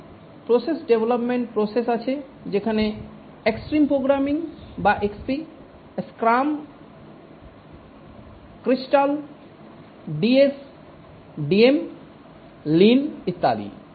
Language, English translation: Bengali, There are many processes, development processes which have come up like extreme programming or XP, scrum, crystal, DSDM, lean, etc